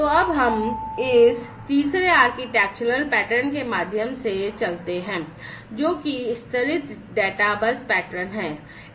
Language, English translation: Hindi, So, now let us go through this third architectural pattern, which is the layered databus pattern